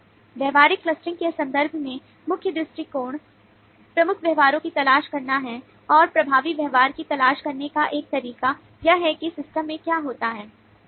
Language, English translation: Hindi, in terms of the behavioural clustering, the main approach is to look for dominant behaviours and one way to look for dominant behaviour is to look for what happens in the system, what takes place in the system